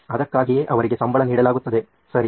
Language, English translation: Kannada, That’s why they are paid for, right